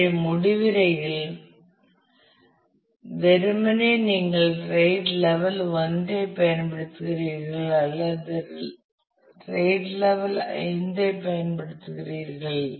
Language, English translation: Tamil, So, the conclusions simply, is that you either use RAID level 1 or you use RAID level 5